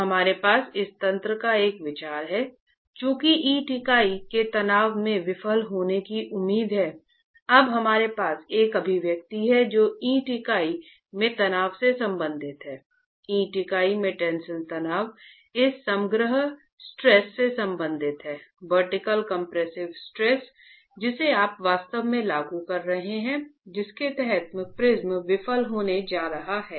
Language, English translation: Hindi, Since the brick unit is expected to fail in tension, we now have an expression that relates the stress in the brick unit, the tensile stress in the brick unit to this overall stress, the vertical compressive stress that you are actually applying and under which the prism is going to fail